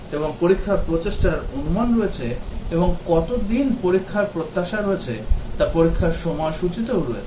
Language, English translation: Bengali, And there is estimate of test effort and also test schedule how many days expected to test